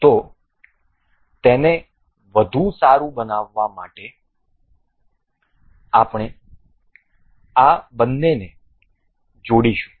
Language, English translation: Gujarati, So, just to make it better we will just attach both of these